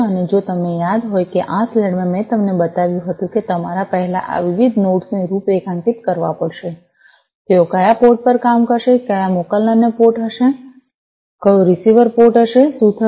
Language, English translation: Gujarati, And if you recall, that you know in the slide I had shown you that you will have to first configure these different nodes regarding, which port they are going to work, which one will be the sender port, which will be the receiver port, what will be the names of these different nodes